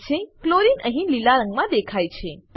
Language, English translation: Gujarati, Chlorine is seen in green color here